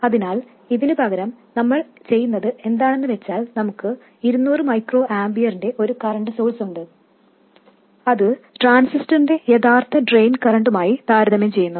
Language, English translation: Malayalam, So, instead of this, what we do is we have a 200 microampure current source and we compare that to the actual drain current of the transistor, whatever that is